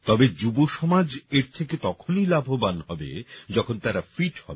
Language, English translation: Bengali, But the youth will benefit more, when they are fit